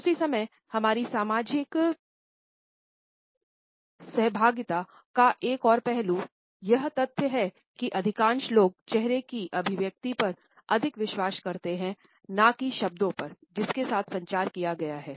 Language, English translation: Hindi, At the same time another aspect of our social interaction is the fact that most people believe the facial expression more than the content which has been communicated with the help of words